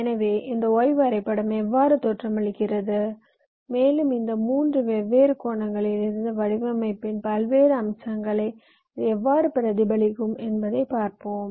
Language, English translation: Tamil, so let us see i am a how this y diagram looks like and how it can represent the various aspects of the design from this three different angles